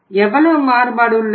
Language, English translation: Tamil, How much variation is there